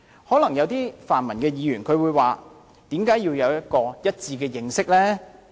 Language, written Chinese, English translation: Cantonese, 可能有些泛民議員會問，為甚麼要有一致的認識？, Some pan - democratic Members may ask why it is necessary to have the same understanding